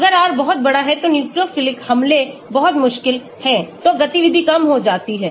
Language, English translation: Hindi, if the R is very large it is very difficult for the nucleophilic attack, so the activity goes down